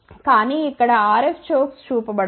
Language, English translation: Telugu, But, over here RF chokes are not shown